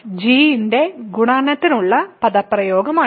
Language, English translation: Malayalam, So, this is the expression for coefficient of f g